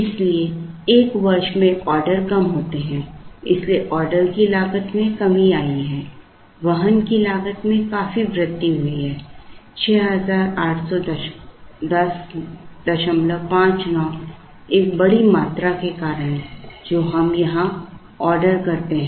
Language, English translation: Hindi, So, there are fewer orders in a year so order cost has come down the carrying cost has gone up significantly, 6810